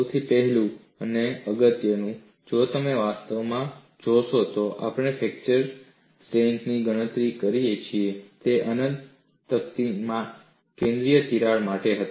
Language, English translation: Gujarati, The first and foremost is, if you actually look at, the fracture strength that we have calculated was for a central crack in an infinite plate